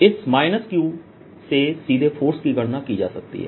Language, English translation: Hindi, can we calculate the force directly from this minus q